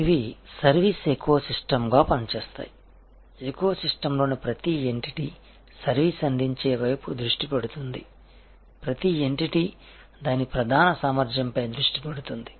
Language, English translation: Telugu, These act as service ecosystems, each entity in the eco system focuses on the service providing side, each entity focuses on its core competence